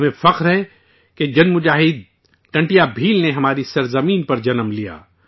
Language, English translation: Urdu, We are proud that the warrior Tantiya Bheel was born on our soil